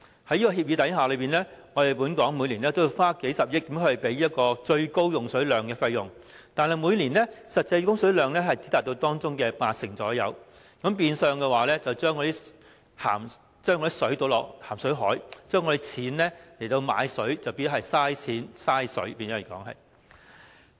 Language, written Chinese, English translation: Cantonese, 在這協議下，本港每年均要花數十億元來支付最高供水量的費用，但每年實際供水量只達到當中約八成，變相將食水倒進鹹水海，香港用以購買食水的錢便浪費了，等同浪費金錢、浪費食水。, Pursuant to this agreement Hong Kong has to pay billions of dollars each year for an annual supply ceiling but the actual quantities supplied were only about 80 % of the ceiling each year . The excess water was discharged into the sea . The money spent on purchasing water was wasted and water was wasted